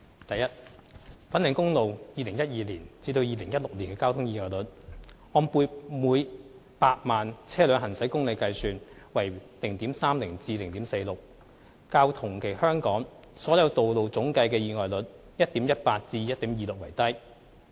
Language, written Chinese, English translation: Cantonese, 一粉嶺公路2012年至2016年的交通意外率，按每100萬車輛行駛公里計算為 0.30 至 0.46， 較同期香港所有道路總計的意外率 1.18 至 1.26 為低。, 1 The traffic accident rate on Fanling Highway between 2012 and 2016 ranges from 0.30 to 0.46 cases per million vehicle―kilometre which is lower than that of the territorial average of 1.18 to 1.26 in the corresponding periods